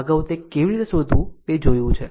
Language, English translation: Gujarati, Earlier, we have seen that how to find out